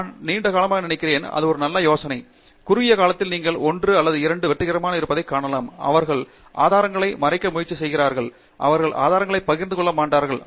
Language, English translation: Tamil, I think in the long run thatÕs not a great idea, maybe in the short run you do see 1 or 2 of them being successful, they try to hide the resources, they do not share the resources and so on